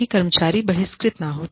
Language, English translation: Hindi, So, that the employee is not ostracized